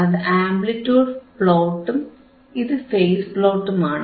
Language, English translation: Malayalam, This is the amplitude plot, this is the phase plot